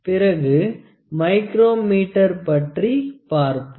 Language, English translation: Tamil, Then we will move to the micrometer